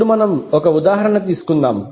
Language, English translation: Telugu, Now let us take one example